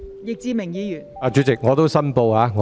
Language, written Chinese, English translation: Cantonese, 易志明議員，你有甚麼問題？, Mr Frankie YICK what is your point of order?